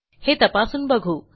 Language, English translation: Marathi, Lets test it out